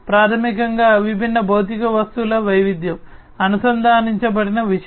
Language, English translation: Telugu, Fundamentally, diversity of the different physical objects, the things that are connected